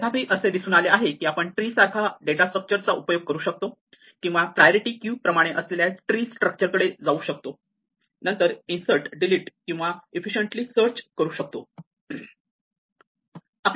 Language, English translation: Marathi, However, it turns out that we can move to a tree like structure or a tree structure like in a priority queue it move to a heap and then do insert and delete also efficiently alongside searching